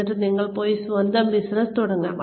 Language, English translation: Malayalam, And then, you can go and start your own business